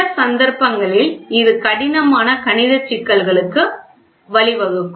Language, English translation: Tamil, In some cases, it may lead to complicated mathematical problems